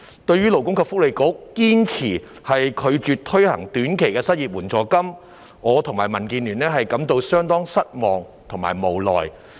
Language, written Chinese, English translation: Cantonese, 對於勞工及福利局堅持拒絕推行短期失業援助金，我和民主建港協進聯盟均感到相當失望和無奈。, The Democratic Alliance for the Betterment and Progress of Hong Kong and I feel quite disappointed and helpless at the Labour and Welfare Bureaus insistence on refusing to introduce a short - term unemployment assistance